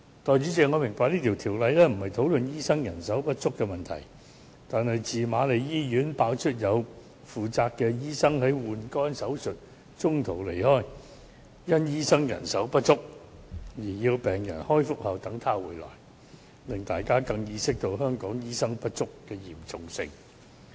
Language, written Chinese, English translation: Cantonese, 代理主席，我明白這項《條例草案》的主題並非討論醫生人手不足的問題，但自瑪麗醫院爆出有負責醫生在換肝手術中途離開，因醫生人手不足而要病人在開腹後等醫生回來，令大家更加意識到香港醫生不足問題的嚴重性。, We consider that the right direction . Deputy President I understand the topic of the Bill has nothing to do with the shortage of doctors but since the media exposed that a liver transplant patient was left lying on the operating table with abdomen cut open after the surgeon suddenly left Queen Mary Hospital for another appointment thus the patient had to wait for hours until the surgeon returned due to the shortage problem of doctors the public started to realize the serious shortage problem of doctors in Hong Kong